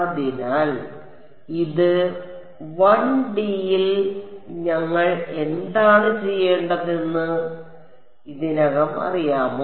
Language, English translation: Malayalam, So, this we in 1 D we already know what to do